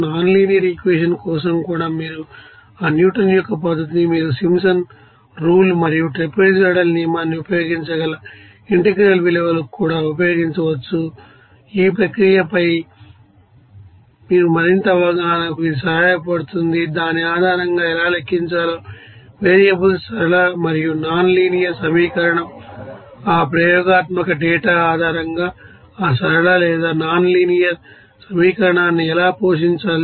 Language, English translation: Telugu, Even for nonlinear equation, you can simply use that you know Newton's method and also for integral values that you can use the Simpsons rule and trapezoidal rule, so it will be helpful for your further understanding of the you know process and also that variables how to calculate based on that linear and nonlinear equation and also how to feed that linear or nonlinear equation based on that experimental data